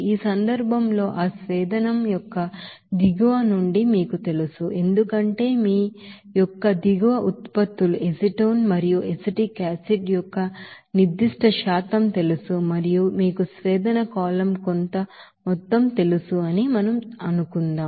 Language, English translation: Telugu, And in this case, you know from the bottom of that distillation the product will be coming as you know bottom products of you know certain percentage of acetone and acetic acid and it will be you know recycled to that you know distillation column certain amount that will be as boil up